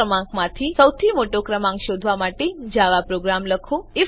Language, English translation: Gujarati, * Write a java program to find the biggest number among the three numbers